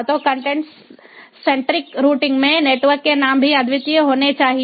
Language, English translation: Hindi, so in content centric routing the name also has to be unique